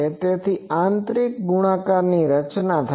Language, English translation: Gujarati, So, inner product is formed